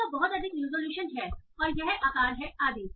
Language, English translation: Hindi, So this has this much resolution and this is the size and so on